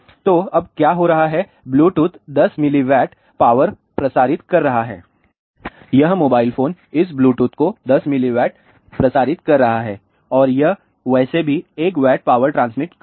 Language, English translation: Hindi, So, now, what is happening Bluetooth is transmitting 10 milliwatt, this mobile phone is transmitting 10 milliwatt to this Bluetooth and it is anyway transmitting 1 watt of power